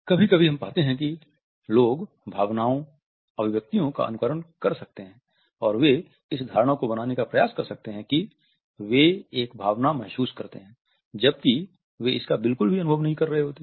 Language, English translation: Hindi, Sometimes we find that people can simulate emotion, expressions and they may attempt to create the impression that they feel an emotion whereas, they are not experiencing it at all